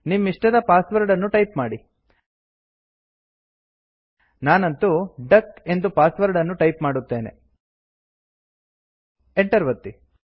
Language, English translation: Kannada, Type the password of your choice, in my case im going to type duck as the password and press Enter